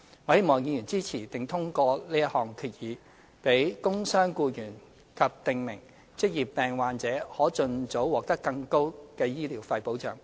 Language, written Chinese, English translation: Cantonese, 我希望議員支持並通過這項決議，讓工傷僱員及訂明職業病患者可盡早獲得更高的醫療費保障。, I hope that Members will support and pass this resolution so as to enhance the protection of injured employees and prescribed occupational disease sufferers in terms of their medical expenses as early as possible